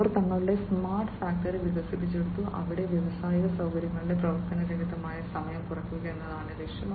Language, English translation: Malayalam, And they have developed their smart factory, where the objective is to minimize the downtime in the industrial facility